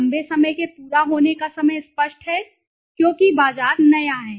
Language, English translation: Hindi, Longer completion time obviously because the market is new